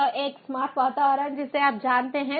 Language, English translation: Hindi, so smart environment, you know